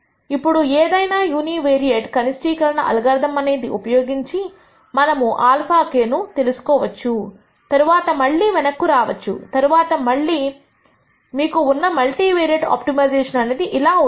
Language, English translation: Telugu, So, you deploy a univariate minimization algorithm nd a value for alpha k and then plug this back in then you have your algorithm for your multivariate optimization which will go something like this